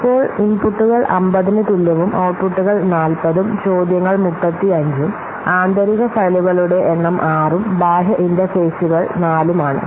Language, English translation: Malayalam, You can see that the inputs is equal to 50, outputs is equal to 40 and queries is 35 and internal files you can see that number of internal files is 6 and 4 is the external interfaces that